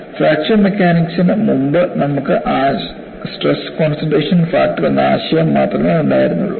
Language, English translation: Malayalam, And before fracture mechanics, you had only the concept of stress concentration factor